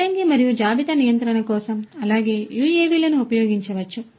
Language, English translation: Telugu, For warehousing and inventory control as well UAVs could be used